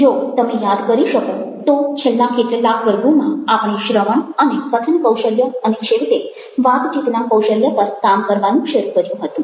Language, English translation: Gujarati, if you remember, in the last ah few classes ah, we started working on listening and speaking skills and, finally, and conversation skills